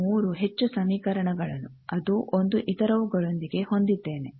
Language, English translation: Kannada, Also I will have 3 more equations that 1 with the other